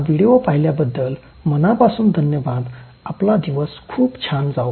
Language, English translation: Marathi, Thank you so much for watching this video, have a very nice day